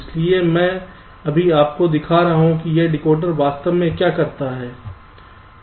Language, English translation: Hindi, so i am just showing you what this decoder actually does